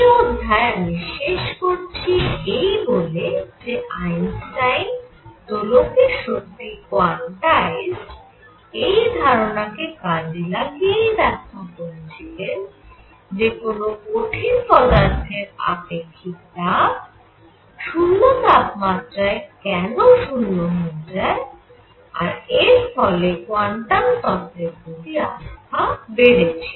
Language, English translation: Bengali, So, I conclude this, this section by emphasizing that Einstein applied the ideas of an oscillator having quantized values of energies to explain the vanishing of specific heat of solids as temperature goes to 0 and that gave a little more trust in quantum theory